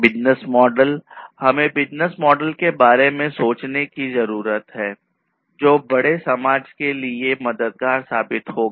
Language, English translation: Hindi, Business models: you know; we need to think about business models which will be helpful for the greater society the bigger society